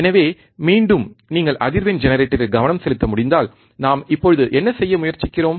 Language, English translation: Tamil, So, again if you can focus back on the frequency generator, what we are now trying to do